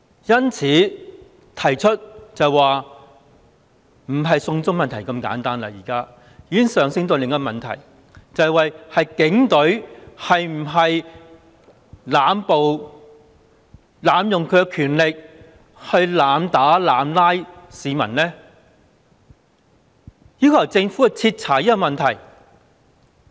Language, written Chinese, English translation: Cantonese, 因此，提出的已不單是"送中"問題那麼簡單，而是已經上升到另一個問題，就是警隊是否濫暴濫權，去濫打濫捕市民，應該要由政府去徹查這個問題。, Therefore the issue raised is not simply that of extradition to China but has escalated to another that is whether the Police Force has abused violence and power to arbitrarily beat up and arrest members of the public which calls for a full inquiry by the Government